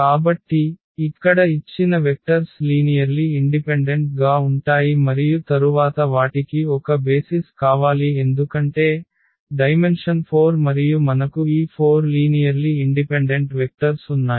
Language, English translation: Telugu, So, here are the given vectors they are linearly independent and then they it has to be a basis because, the dimension is 4 and we have these 4 linearly independent vectors